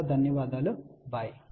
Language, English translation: Telugu, Thank you very much, bye